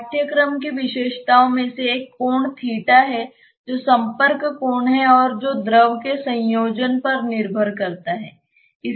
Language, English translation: Hindi, One of the features of course, is the angle theta which is the contact angle and which depends on the combination of the fluid